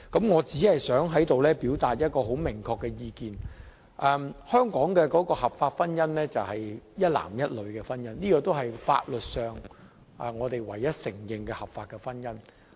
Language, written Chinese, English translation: Cantonese, 我只想在此表達一個明確意見，便是香港合法的婚姻是指一男一女的婚姻，這亦是法律上我們唯一承認的合法婚姻。, That is a lawful marriage in Hong Kong is the matrimony between a man and a woman which is also the only lawful marriage that we recognize in Hong Kong